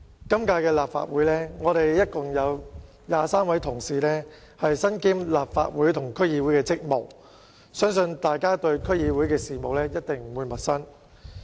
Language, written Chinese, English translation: Cantonese, 今屆立法會共有23位同事身兼立法會和區議會的職務，相信大家對區議會的事務一定不會陌生。, In this Legislative Council 23 Honourable colleagues in total perform duties both as Legislative Council Members and DC members so I believe all of us are certainly no strangers to matters related to DCs